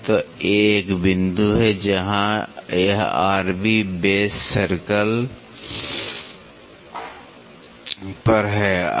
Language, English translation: Hindi, So, the A dash is a point where it is on the r b base circle